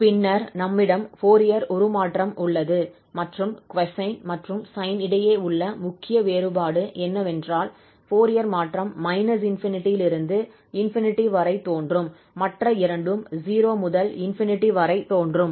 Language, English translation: Tamil, Then we have the Fourier transform and the major difference between this cosine and sine, so here the Fourier transform appears from minus infinity to plus infinity, the other two were 0 to infinity